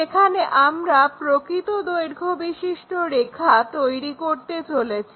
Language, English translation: Bengali, This is the way we construct this true length